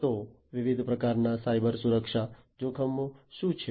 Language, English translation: Gujarati, So, what are the different types of Cybersecurity threats